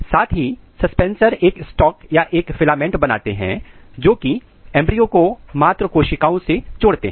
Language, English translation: Hindi, Eventually the suspensors generates a stock or a filament which attach proper embryo to the maternal tissues